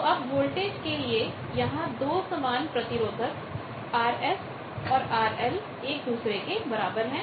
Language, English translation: Hindi, So, voltage, but two equal resistances this R S and R L equal